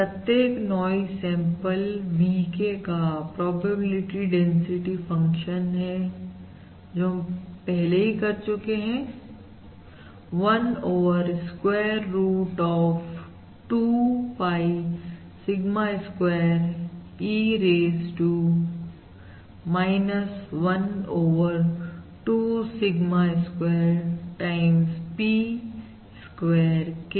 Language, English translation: Hindi, So this is the probability density function of each noise sample VK, which we said is 1 over square root of 2 pie Sigma square E, raised to minus1 over 2 Sigma square times P square K